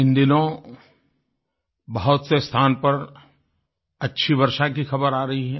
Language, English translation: Hindi, Of late, News of abundant rainfall has been steadily coming in